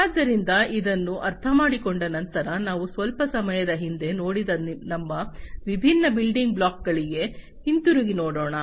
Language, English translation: Kannada, So, having understood this let us now go back to our different building blocks that we have seen in the little while back